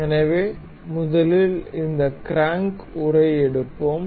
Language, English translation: Tamil, So, first of all we will take this crank casing